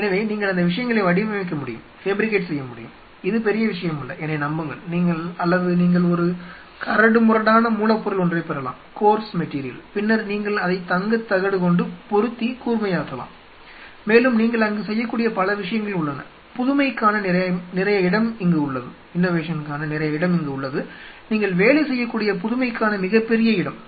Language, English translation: Tamil, So, you can get those things fabricated which is not a big deal trust me, or you can get a coarse one and then you can gold plate it and you know make it sharper, and several things you can do there a lot of zone for innovation tremendous zone for innovation what you can work through